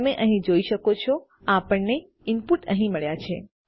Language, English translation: Gujarati, You can see here we got our input here